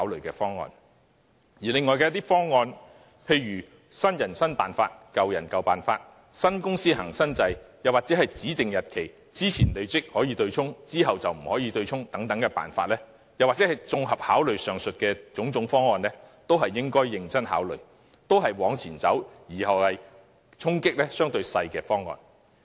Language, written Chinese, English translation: Cantonese, 至於另一些方案，例如建議"新人新辦法、舊人舊辦法"，新公司行新制，在指定日期之前的累積供款權益可作對沖，之後則不可以等，又或是綜合考慮上述各項方案，都是應該認真考慮、往前走而衝擊相對較少的方案。, As regards the other proposals such as those proposing adopting a new approach for new members and the old one for old members or new companies adopting a new system whereby the accrued MPF contributions can be offset only before a specified date or taking the aforesaid proposals into joint consideration they should be considered seriously for they are forward - looking with less impact